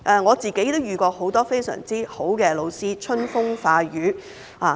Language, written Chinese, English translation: Cantonese, 我個人也曾遇到很多非常優秀的老師，春風化雨。, Personally I have also met many excellent teachers who have nurtured my character